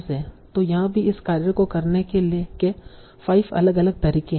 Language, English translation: Hindi, So here also there are five different methods for doing this task